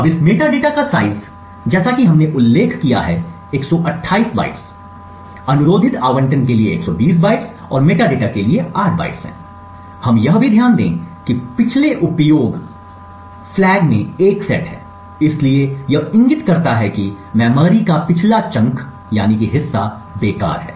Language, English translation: Hindi, Now the size of this metadata as we have mentioned is 128 bytes, 120 bytes for the requested allocation and 8 bytes for the metadata, we also note that previous in use flag is set to 1, so this indicates that the previous chunk of memory is not in use